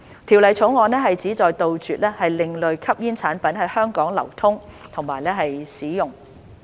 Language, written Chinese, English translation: Cantonese, 《條例草案》旨在杜絕另類吸煙產品在香港的流通和使用。, The Bill seeks to stop the circulation and use of ASPs in Hong Kong